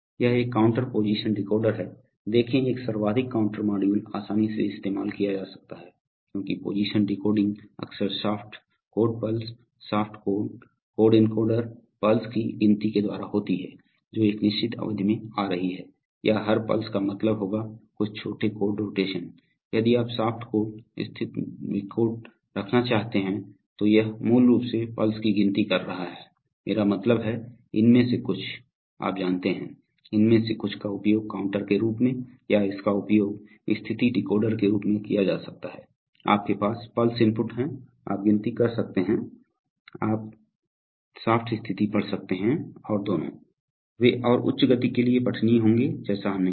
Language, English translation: Hindi, This is, this is a counter position decoder, see a most counter modules can easily be used because position decoding is often by counting the shaft angle pulses, shaft angle encoder pulses that are coming over a certain period of time or every pulse will mean a certain small angle rotation, so if you want to have shaft angle position decoder, it’s basically counting pulses, so I mean, some of this, you know some of these can be used for, this can be used for either as a counter or as a position decoder, so you have pulse inputs, you can count or you can read shaft position and both, they will be readable on the fly as we said and for high speed